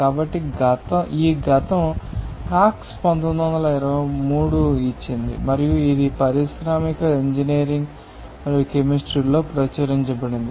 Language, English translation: Telugu, So, this past has given by Cox in 1923 they are, and it has been published in industrial engineering and chemistry